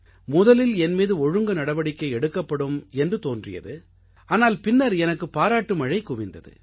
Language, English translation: Tamil, So, at first it seemed that there would be some disciplinary action against me, but later I garnered a lot of praise